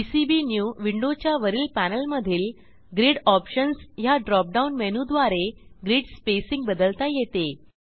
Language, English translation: Marathi, It is possible to change the grid spacing using Grid options drop down menu on the top panel of PCBnew window